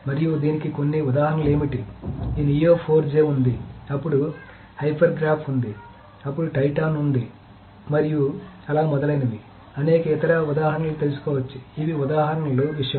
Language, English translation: Telugu, And what are some examples examples of this is there is this Neo 4J, then there is hypergraph, then there is Titan, so there are many other examples that one can find out